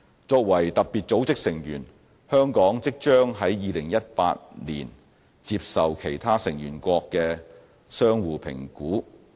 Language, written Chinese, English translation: Cantonese, 作為特別組織的成員，香港即將於2018年接受其他成員國的相互評估。, As a member of FATF Hong Kong is about to undergo a mutual evaluation by other member states in 2018